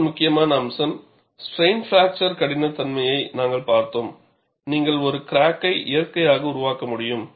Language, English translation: Tamil, And another important aspect, we had looked at in plane strain fracture toughness was, you have to develop a natural crack; only with a natural crack you can conduct the testing